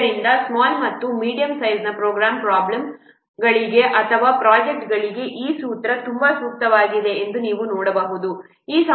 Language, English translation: Kannada, So, you can see this formula is very much suitable for the small and medium size problems or projects